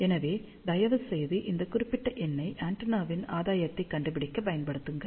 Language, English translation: Tamil, So, please apply this particular number to find the gain of the antenna